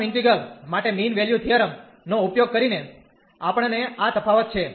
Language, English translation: Gujarati, So, using mean value theorem for the first integral, we have this difference